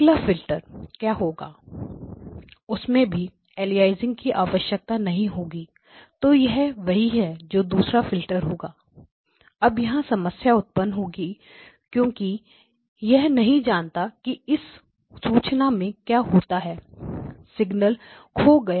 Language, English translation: Hindi, The next filter what will happen, that will also require no aliasing so therefore this is what the second filter will be, now the problem will arise is that I do not know what happens in this information, signal is lost